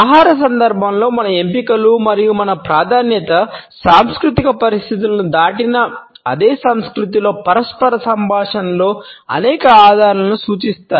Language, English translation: Telugu, Our choices in the context of food and our preference suggest several clues in interpersonal dialogue within the same culture as the legend cross cultural situations